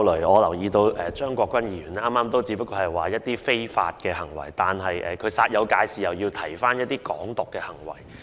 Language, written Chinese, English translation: Cantonese, 我留意到，張國鈞議員剛才只是提到一些非法行為，但司長卻煞有介事地提及"港獨"行為。, I notice that Mr CHEUNG Kwok - kwan has only referred to some unlawful acts but the Chief Secretary made such a fuss and referred to acts of Hong Kong independence